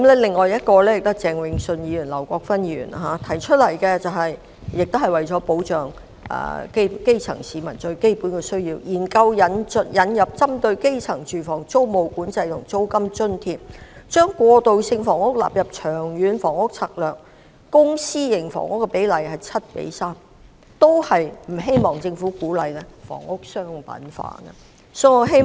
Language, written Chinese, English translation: Cantonese, 至於鄭泳舜議員及劉國勳議員提出的議案，亦是為保障基層市民能應付基本需要，建議研究引入針對基層住房的租務管制措施及租金津貼，把過渡性房屋納入《長遠房屋策略》，公私營房屋比例應為 7：3， 以及反對政府鼓勵房屋商品化。, Mr Vincent CHENG and Mr LAU Kwok - fan have moved motions to safeguard that the basic needs of the grass roots can be met . They proposed to conduct a study on the introduction of tenancy control measures and rent subsidy for the grass roots; incorporate transitional housing into the Long Term Housing Strategy; set the ratio of public and private housing at 7col3; and oppose the encouragement of commercialization of housing by the Government